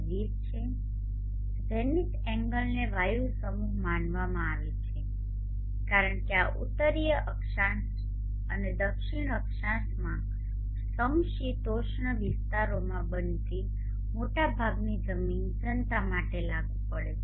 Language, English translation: Gujarati, 20 Zenith angle is considered as the air mass standard as this is applicable for most of the land masses which are occurring at the temperate zones in the northern latitudes and the southern latitudes one more point before